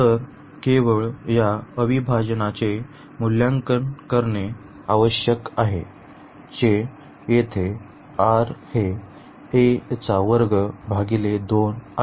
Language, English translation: Marathi, So, we need to just evaluate this integral, which will be here r is square by 2